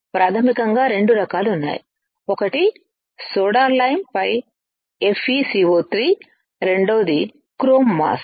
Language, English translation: Telugu, There are two types basically one is Fe2O3 on soda lime, second one is chrome mask